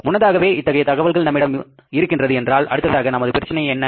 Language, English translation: Tamil, If this information is available with us in advance, then what's the problem